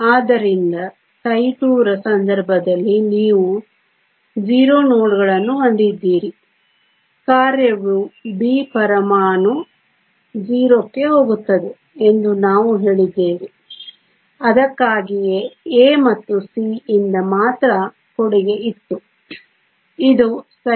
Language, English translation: Kannada, So, you have 0 nodes in the case of psi 2 we said that the function goes to 0 at atom B that is why there was only contribution from A and C this is psi 2